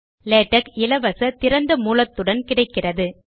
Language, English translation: Tamil, Latex is free and open source